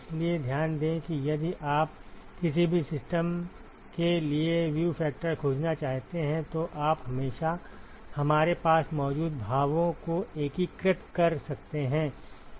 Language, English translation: Hindi, So, note that if you want to find the view factor for any system you can always integrate the expressions that we had